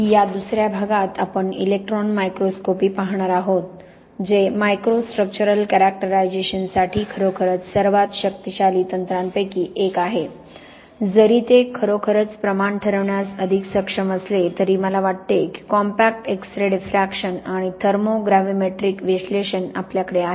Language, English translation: Marathi, Okay, so welcome back and in this second part we are going to look at electron microscopy, which is really one of the most powerful techniques for micro structural characterization, although more able to quantify that is really, I think the compact X ray diffraction and thermo gravimetric analysis we have not talked about are very good for quantification, whereas, electron microscopy is much more visual